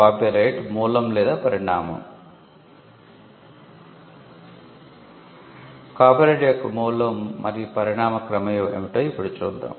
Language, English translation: Telugu, Now, let us look at the Origin and Evolution of Copyright